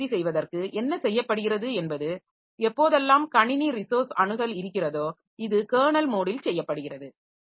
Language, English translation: Tamil, So, what is done is that whenever there is a resource access, whenever there is a system resource access, so this is done in the kernel mode